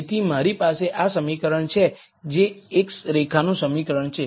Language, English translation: Gujarati, So, I have this equation which is the equation of a line